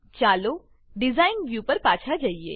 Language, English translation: Gujarati, Let us switch back to the Design view